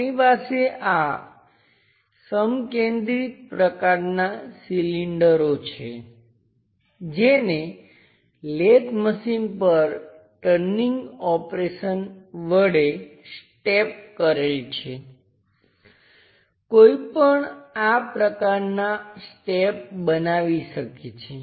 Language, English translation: Gujarati, We have this concentric kind of cylinders step in turning operations using lathe one can construct such kind of steps